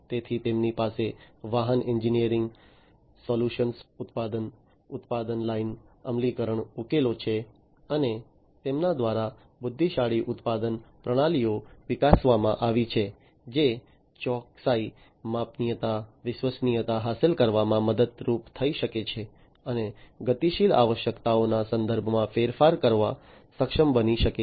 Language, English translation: Gujarati, So, they have vehicle engineering solutions, product production line implementation solutions, and the intelligent production systems are developed by them, which can be help in achieving accuracy, scalability, reliability and also being able to change in terms of the dynamic requirements, change in the dynamic requirements, and so on